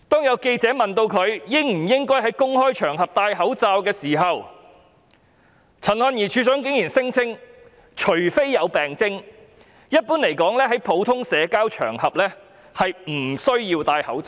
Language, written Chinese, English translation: Cantonese, 有記者問衞生署署長陳漢儀應否在公開場合佩戴口罩，她竟然聲稱除非有病徵，一般來說在普通社交場合不需要佩戴口罩。, When asked by a reporter whether she should wear a mask in public DoH Dr Constance CHAN went so far as to claim that generally speaking she does not need to wear a mask in ordinary social occasions unless she has symptoms